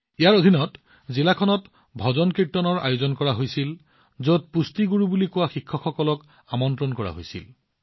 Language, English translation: Assamese, Under this, bhajankirtans were organized in the district, in which teachers as nutrition gurus were called